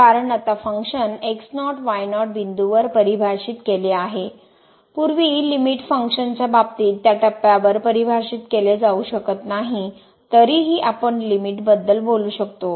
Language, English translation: Marathi, Because, now the function is defined at naught naught point; earlier in the case of limit function may not be defined at that point is still we can talk about the limit